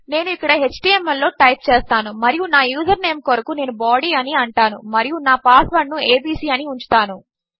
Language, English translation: Telugu, I type in html here and for my username I say body and just keep my password as abc